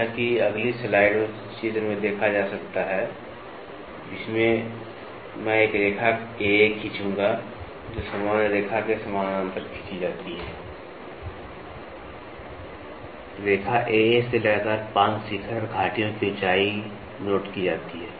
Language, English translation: Hindi, As can be seen in the figure in the next slide, which I will draw a line AA parallel to the general lay of the trace is drawn, the height of 5 consecutive peak and valleys from the line AA are noted